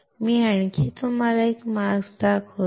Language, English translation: Marathi, Let me show you another mask